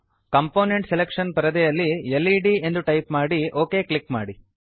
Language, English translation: Kannada, In component selection window type led and click on OK